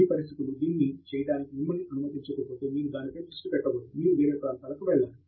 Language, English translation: Telugu, If your conditions are not allowing you to do it, maybe you should not focus on that, you should move to other